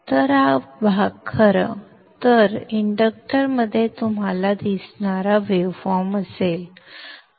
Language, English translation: Marathi, So this portion in fact would be the waveform that you would be seeing across the inductor